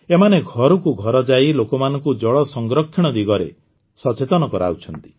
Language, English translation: Odia, They go doortodoor to make people aware of water conservation